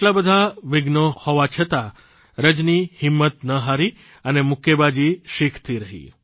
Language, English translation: Gujarati, Despite so many hurdles, Rajani did not lose heart & went ahead with her training in boxing